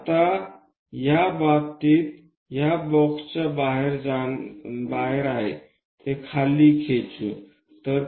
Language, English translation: Marathi, Now, in this case, it is outside of the box, let us pull it down